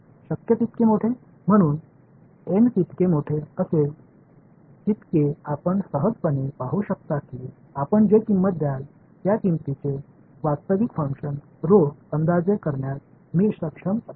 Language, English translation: Marathi, So, larger the n, the you can see intuitively the better I will be able to approximate the actual function rho the price that you will pay